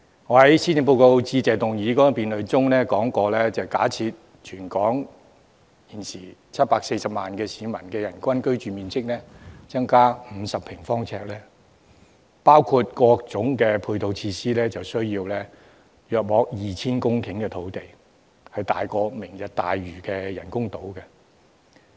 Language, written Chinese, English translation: Cantonese, 我在施政報告致謝議案辯論中說過，假設全港740萬市民的人均居住面積增加50平方呎，包括各種配套設施，需要大約 2,000 公頃土地，比"明日大嶼"的人工島還要大。, As I have said in the Motion of Thanks debate on the Policy Address assuming that the living space of the 7.4 - million population in Hong Kong is increased by 50 sq ft per person plus various ancillary facilities we will need an additional 2 000 hectares of land which is even larger than the artificial islands of Lantau Tomorrow